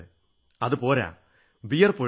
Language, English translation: Malayalam, Not at allyou've to sweat it out